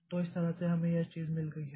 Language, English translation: Hindi, So, that way we have got this thing